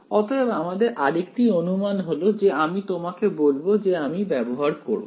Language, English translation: Bengali, So, here is another approximation that I will tell you I mean that I will use